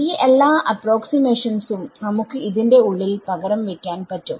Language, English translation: Malayalam, So, all of these approximations we can substitute inside over here